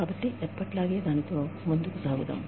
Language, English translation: Telugu, So, let us get on with it, as usual